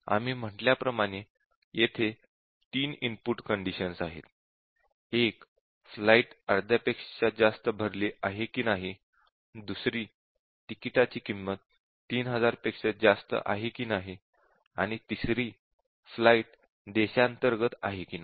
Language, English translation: Marathi, As we said that there are three input conditions, one is more than half full, ticket cost is more than 3000, and whether it is a domestic flight or not